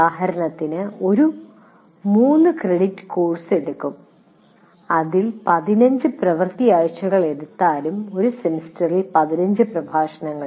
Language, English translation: Malayalam, For example, a three credit course will take about even if you take 15 weeks, working weeks, it is 45 lectures in a semester